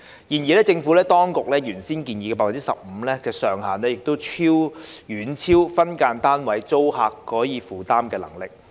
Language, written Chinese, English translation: Cantonese, 然而，政府當局原先建議 15% 的上限遠超分間單位租客可以負擔的能力。, However the cap at 15 % originally proposed by the Administration is way beyond SDU tenants affordability